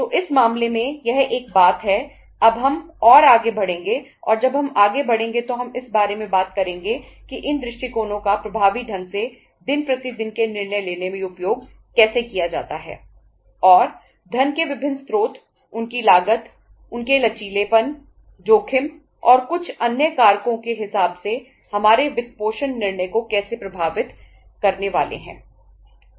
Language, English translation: Hindi, So that is the one thing uh in this case now we will be taking uh going further and when we go further we will be talking about that how to utilize these approaches effectively in the uh say day to day decision making and how different sources of the funds depending upon the their cost, their flexibility, risk, uh and some some other factors is going to affect our financing decision